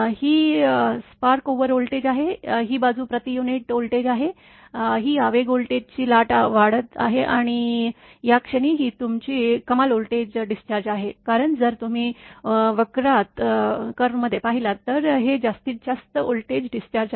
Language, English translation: Marathi, This is wave front spark over voltage, this side is voltage in per unit this side is the time in your microsecond, this is the impulse voltage wave rising it is rising, and this is your maximum voltage discharge at this point, because if you look in the curve this is the maximum voltage discharge, and this is the discharge voltage characteristic of the your arrester